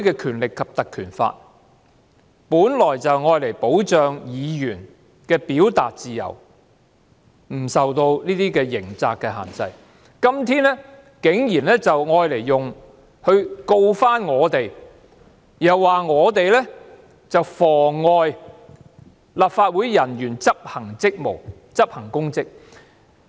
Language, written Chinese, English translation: Cantonese, 《條例》本來就是用以保障議員的表達自由不受刑責的限制，今天竟然用作控告我們，又說我們妨礙立法會人員執行職務，執行公職。, The Ordinance intends to protect the freedom of expression of Members so that it will not be restrained by criminal liability . Today however the Administration has surprisingly used the Ordinance to prosecute Members and alleged that Members have obstructed some officers of the Legislative Council in the execution of their public duties